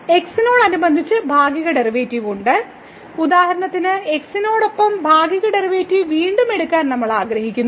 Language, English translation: Malayalam, So, we have the partial derivative with respect to x and for example, we want to take again the partial derivative with respect to